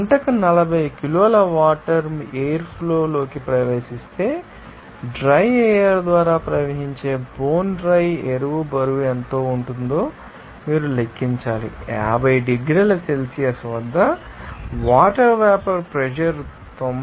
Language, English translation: Telugu, If 40 kg of water enters into the air stream per hour, you have to calculate what will be the weight of bone dry air that is flowing through the dry air given that the vapor pressure of the water at 50 degrees Celsius is 92